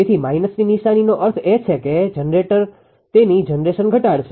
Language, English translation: Gujarati, So, negative sign means that generator will decrease it is generation